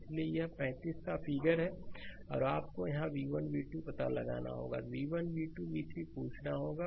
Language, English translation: Hindi, So, this is the 35 figure, you have to find out v 1 your v 2 here, I have asking v 1, v 2, v 3 and I, v 3, v 2 is here